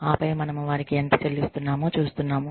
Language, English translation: Telugu, And then, we see, how much, we are paying them